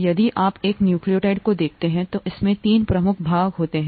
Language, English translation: Hindi, If you look at a nucleotide, it consists of three major parts